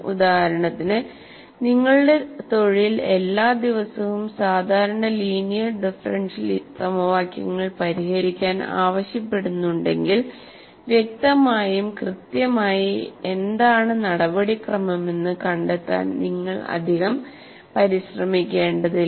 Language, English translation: Malayalam, If, for example, your profession calls for solving ordinary linear differential equations every day, then obviously you don't have to exert yourself to find out what exactly the procedure I need to use